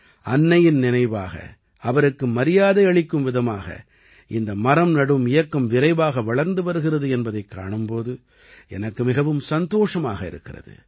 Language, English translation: Tamil, And I am immensely happy to see that the campaign to plant trees in memory of the mother or in her honor is progressing rapidly